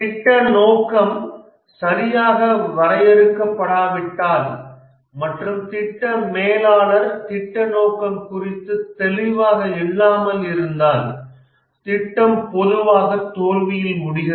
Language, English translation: Tamil, Unless the project scope is properly defined and the project manager is clear about the project scope, the project typically ends up in a failure